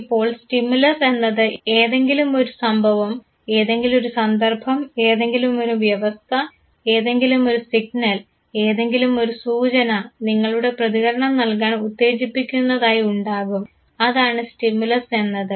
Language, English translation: Malayalam, Now stimulus is basically any event, any situation, any condition, any signal, and any cue that triggers you to give a response that is the stimulus